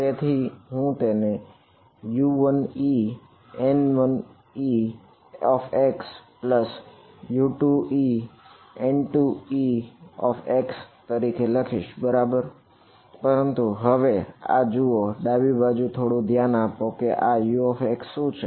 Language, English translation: Gujarati, So, I can write this as U 1 e times N 1 e x plus U 2 e N 2 e x right, but this see now left now pay a little bit of attention in the left hand side is U of x over what